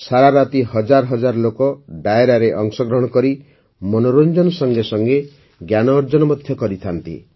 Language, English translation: Odia, Throughout the night, thousands of people join Dairo and acquire knowledge along with entertainment